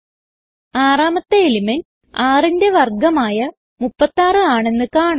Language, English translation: Malayalam, We see the sixth element is now square of 6, which is 36